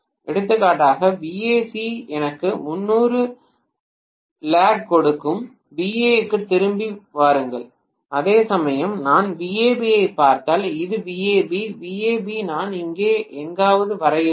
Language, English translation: Tamil, For example VAC giving me 30 degree lag come back to VA, whereas if I am looking at VAB right this is VAB, VAB I have to draw somewhere here